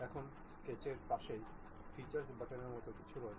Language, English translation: Bengali, Now, next to Sketch there is something like Features button